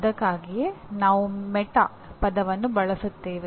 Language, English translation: Kannada, That is why we use the word meta